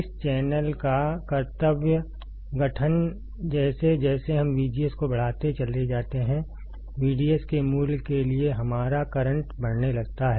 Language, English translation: Hindi, Duty formation of this channel as we go on increasing V G S, our current starts increasing for value of V D S